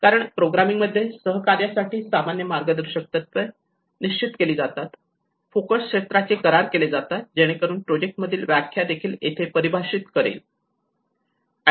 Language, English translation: Marathi, Because in the programming it actually sets up the general guidelines and principles for cooperation, agreement of focus areas so it will also define the project lay